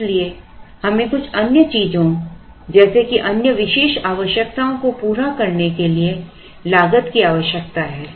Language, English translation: Hindi, So, we need cost to do certain other things such as other special requirements